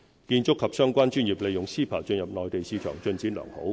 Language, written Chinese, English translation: Cantonese, 建築及相關專業利用 CEPA 進入內地市場，進展良好。, Under CEPA professionals in the construction and related industries have made good progress entering the Mainland market